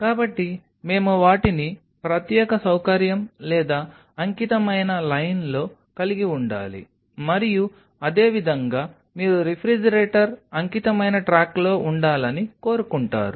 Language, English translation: Telugu, So, we have to have them on dedicated facility or dedicated line, and same way you want the refrigerator to be on the dedicated track